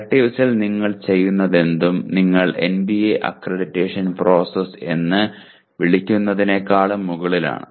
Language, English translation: Malayalam, This is only whatever you do under electives is over and above what you call the NBA accreditation process